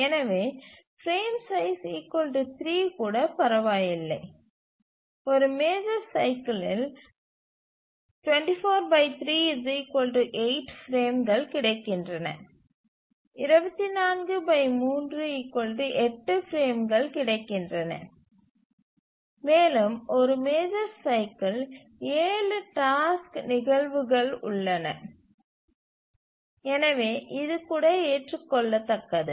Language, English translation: Tamil, So even frame size 3 is okay and we have 24 by 3 which is 8 frames available in one major cycle and we have 7 task instances in a major cycle and therefore even this is acceptable